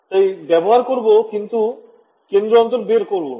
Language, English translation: Bengali, So, use, but I cannot do centre differences